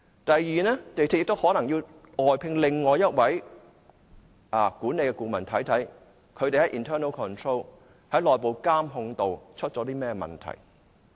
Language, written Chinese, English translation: Cantonese, 港鐵公司亦可能要外聘另一位管理顧問，看看他們在內部監控方面出了甚麼問題。, MTRCL may also have to engage another external management consultant to review the problems in respect of internal monitoring